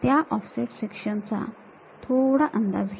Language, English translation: Marathi, Guess those offset sections